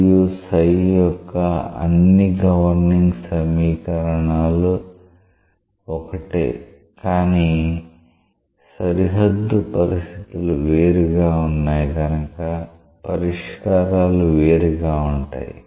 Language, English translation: Telugu, All the governing equations for phi and psi are the same, but their boundary conditions are different and therefore, solutions are different